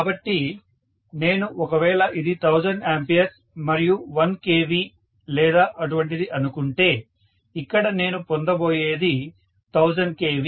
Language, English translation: Telugu, So, if I say this is 1000 ampere and 1 kilovolt or something like that, what I get here will be 1000 kilovolt